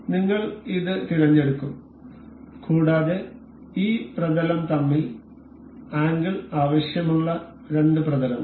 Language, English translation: Malayalam, We will select this and the two planes that we need angle between with is this and this plane